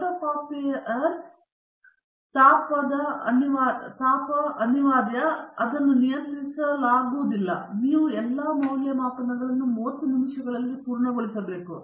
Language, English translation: Kannada, What you should have actually done is the heating of the photocopier is inevitable and probably not controllable, and you have to finish all these evaluations within 30 minutes